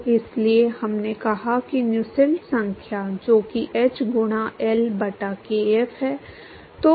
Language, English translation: Hindi, So, therefore, we said that the Nusselt number which is h into L by kf